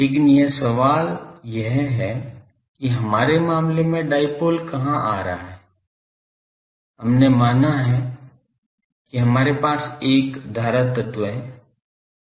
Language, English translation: Hindi, But the question is where is dipole coming here in our case you consider that we have a current element